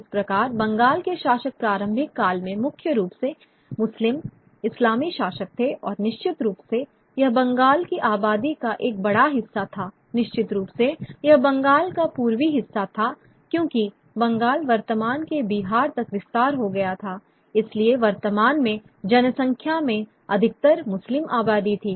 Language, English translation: Hindi, So the rulers of Bengal in the pre colonial era primarily were the Muslim Islamic rulers and certainly the large majority of the population of Bengal, certainly the eastern part of Bengal, because Bengal extended all the way to present day Bihar